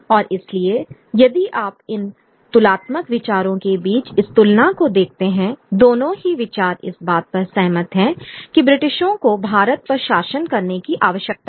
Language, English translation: Hindi, And so, so this if you look at these comparison between these comparative views, both the views have agreed on justified that British need to rule India